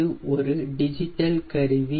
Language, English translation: Tamil, this is my digital instrument